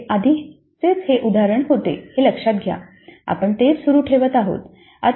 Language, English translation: Marathi, Notice this is the same example which we had earlier we are continuing